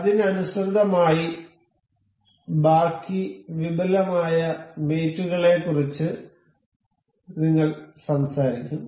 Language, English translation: Malayalam, In line with that, we will talk about rest of the advanced mate